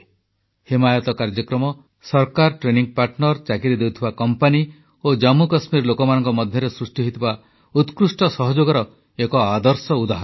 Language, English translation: Odia, The 'HimayatProgramme'is a perfect example of a great synergy between the government, training partners, job providing companies and the people of Jammu and Kashmir